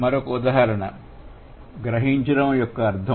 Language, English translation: Telugu, The other example is the meaning of grasp